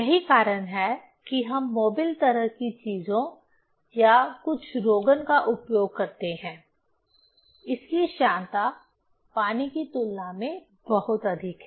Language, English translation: Hindi, That is why we use mobil kind of things or some lubricant, its viscosity is very high compared to the water